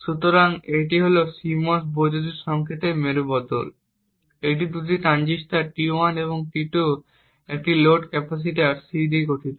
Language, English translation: Bengali, So, this is the CMOS inverter, it comprises of two transistors T1 and T2 and a load capacitor C